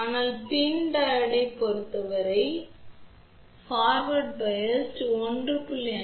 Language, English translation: Tamil, But, for pi and Diode the forward voltage required is anywhere between 1